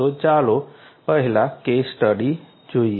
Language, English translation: Gujarati, So, let us look at a case study first